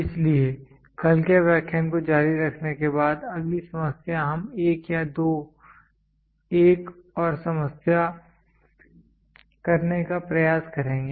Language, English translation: Hindi, So, continuing to yesterday’s lecture the next problem we will try 1 or 2 one problem more